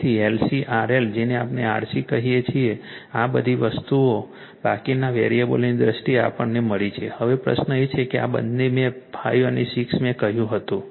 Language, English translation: Gujarati, So, L C RL your what we call RC right all all all these things in terms of remaining variables we got it right, now question is that that that in this this two in 5 and 6 I told you